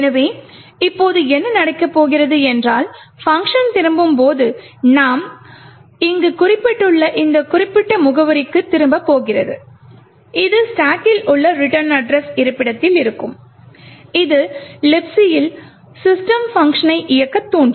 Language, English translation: Tamil, So what is going to happen now is that when the function actually returns is going to return to this particular address which we have specified over here and which would be present in the return address location in the stack and this would trigger the system function in libc to execute